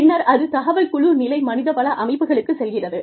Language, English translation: Tamil, And then, the information percolates down, to the team level HR systems